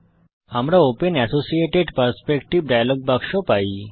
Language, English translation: Bengali, We get the Open Associated Perspective dialog box